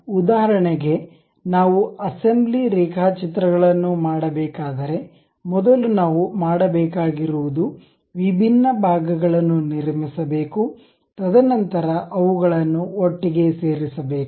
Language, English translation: Kannada, So, for example, if we have to do assembly drawings first of all what we have to do is construct different parts, and then join them together